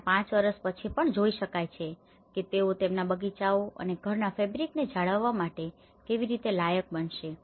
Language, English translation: Gujarati, And, even after five years, one can see that you know, how they are able to maintain their gardens the fabric of the house